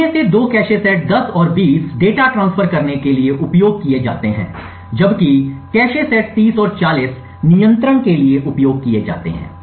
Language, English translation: Hindi, 2 of these cache sets 10 and 20 are used for transferring data while the cache set 30 and 40 are used for control